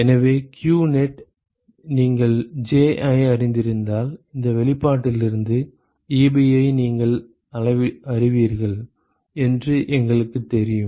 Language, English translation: Tamil, So, we know qnet you are going to find Ji now if you know Ji you know Ebi from this expression